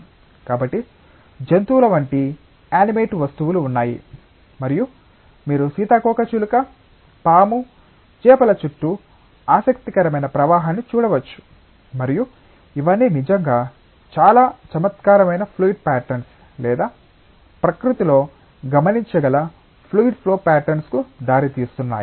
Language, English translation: Telugu, So, there are animate objects like animals and you can see interesting flow around butterfly, snake, fish and all these are really giving rise to very intriguing fluid patterns or fluid flow patterns which can be observed in nature